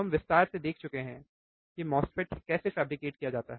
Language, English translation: Hindi, We have also seen in detail how the MOSFET is fabricated, isn't it